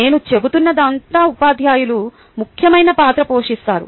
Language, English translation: Telugu, all i am saying is that teachers play an important role